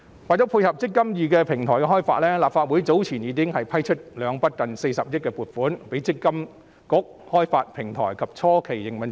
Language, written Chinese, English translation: Cantonese, 為了配合"積金易"平台開發，立法會早前已批出兩筆近40億元的撥款，供積金局開發平台及初期營運之用。, In order to fund the development of the eMPF Platform the Legislative Council has previously approved two funding applications totalling to almost 4 billion for MPFA to develop the platform and support its initial operation